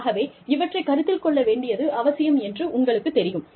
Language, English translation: Tamil, So, you know, these things, needs to be taken into account